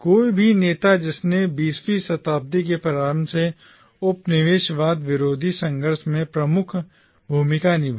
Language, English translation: Hindi, Any leader who played a prominent role in the anti colonial struggle from the early 20th century onwards